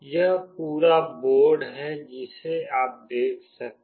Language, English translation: Hindi, This is the overall board you can see